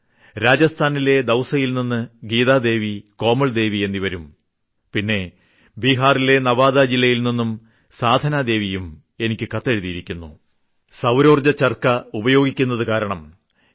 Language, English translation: Malayalam, Geeta Devi and Komal Devi from Dausa in Rajasthan, and Sadhna Devi from Nawada district in Bihar have written to me saying that slar charkhas has made remarkable changes in their lives